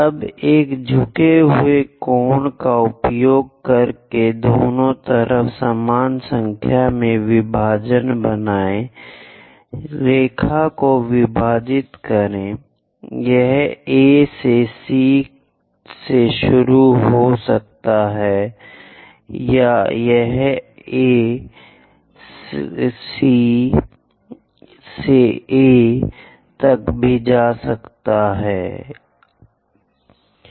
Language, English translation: Hindi, Now, use inclined angle to make it equal number of divisions on both sides, divide the line; it can be beginning from A to C, or it can be from A ah C to A also, it is perfectly fine